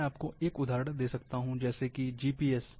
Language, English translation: Hindi, I can give you an example, like GPS